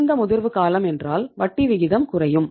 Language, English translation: Tamil, Longer the maturity period, higher is the interest rate